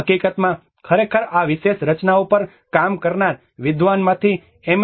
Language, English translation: Gujarati, In fact, one of the scholar who actually worked on this particular structures M